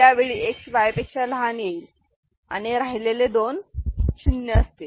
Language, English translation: Marathi, So, X is less than Y that is equal to 1 and rest two are 0